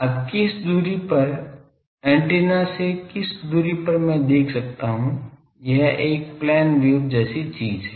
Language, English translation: Hindi, Now at which distance, at which distance from the antenna I can see it is a plane wave like thing